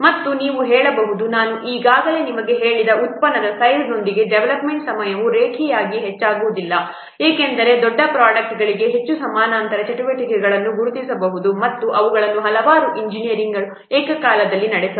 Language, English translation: Kannada, And you can say that I'll just say that development time it does not increase linearly with the product size that I have only told you because for larger products, more parallel activities can be identified and they can be carried out simultaneously by a number of engineers